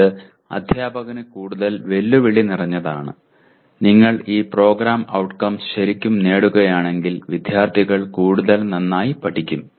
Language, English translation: Malayalam, It is more challenging to the teacher and if you are really attaining these program outcomes the students will learn lot better